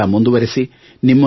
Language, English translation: Kannada, Keep on fighting